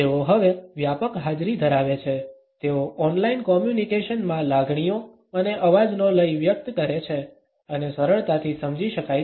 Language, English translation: Gujarati, They now have a pervasive presence, they convey emotions and tone of voice in online communication and are easily understandable